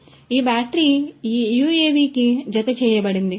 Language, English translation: Telugu, So, this battery is attached to this UAV